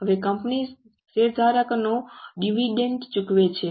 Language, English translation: Gujarati, Now company pays dividend to shareholders